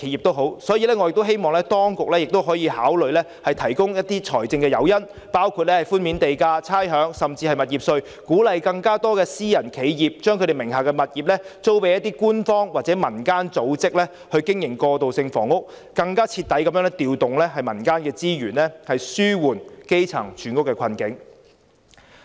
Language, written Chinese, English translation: Cantonese, 因此，我亦希望當局能考慮提供財政誘因，包括寬免地價、差餉，甚至是物業稅，鼓勵更多私人企業把其名下物業租予官方或民間組織經營過渡性房屋，更徹底地調動民間資源，以紓緩基層住屋的困境。, Therefore I also hope that the Government will provide financial incentives including reducing or waiving land premiums rates and even property taxes to encourage more private enterprises to rent their properties to government or community organizations for operating transitional housing . This will make more effective use of community resources to relieve the housing problems of the grass - roots population